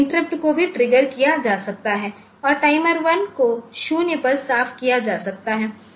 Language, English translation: Hindi, And interrupt can also be triggered and timer 1 can be cleared to 0